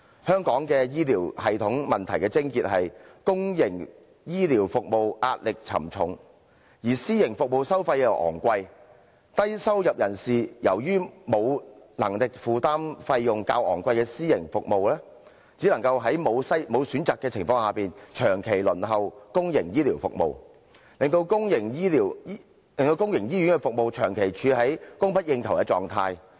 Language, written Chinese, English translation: Cantonese, 香港醫療系統的問題癥結，在於公營醫療服務壓力沉重，而私營服務收費昂貴，低收入人士由於沒有能力負擔費用較昂貴的私營服務，只能在沒有選擇的情況下，長期輪候公營醫療服務，令公營醫院的服務長期處於供不應求的狀態。, The crux of the problem of the healthcare system of Hong Kong is the heavy pressure on public healthcare services . Since the charges of private healthcare services are expensive low - income patients who cannot afford the relatively expensive private services have no alternative but to wait for public healthcare services long term . As a result there is always a shortage of public hospital services